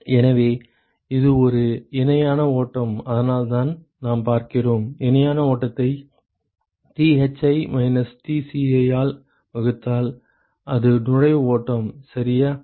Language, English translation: Tamil, So, that is why it is a parallel flow we are looking at parallel flow divided by Thi minus Tci that is the inlet stream ok